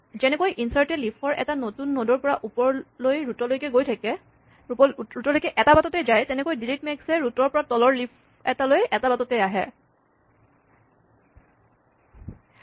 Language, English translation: Assamese, Just as insert followed a single path from the new node at the leaf up to the root, delete max will follow a single path from the root down to a leaf